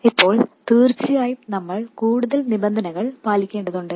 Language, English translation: Malayalam, Now, of course, we have to satisfy some more conditions